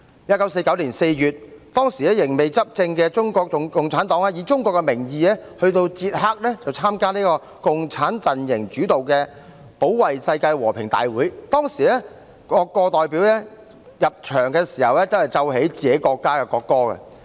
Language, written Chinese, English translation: Cantonese, 1949年4月，仍未執政的中國共產黨以中國的名義到捷克參加共產陣營主導的保衞世界和平大會，當時各國代表團入場時均奏本國國歌。, In April 1949 CPC which had yet to become the governing party went to Czech in the name of China to attend the World Congress of Defenders of Peace initiated by the Communist Bloc . When delegations of various countries entered the venue their own national anthems were played